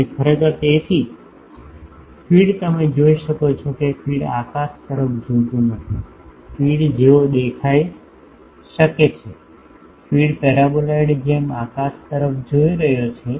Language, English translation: Gujarati, And actually so, feed you can see that feed is not looking at the sky the feed can look like sorry, the feed is looking at the sky like the paraboloid